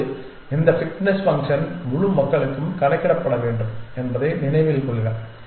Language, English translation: Tamil, Now, remember there is this fitness function will have to be computed for the entire population